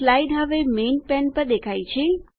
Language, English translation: Gujarati, This slide is now displayed on the Main pane